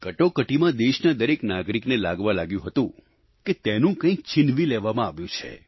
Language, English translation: Gujarati, During Emergency, every citizen of the country had started getting the feeling that something that belonged to him had been snatched away